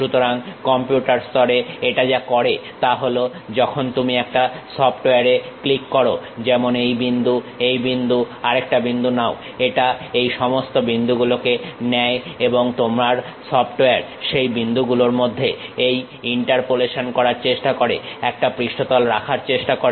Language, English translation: Bengali, So, at computer level what it does is when you are clicking a software like pick this point, that point, another point it takes these points and your software try to does this interpolation in between those points try to put a surface